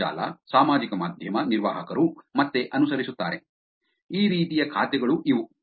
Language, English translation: Kannada, Internet, social media manager will follow back; these are the kinds of accounts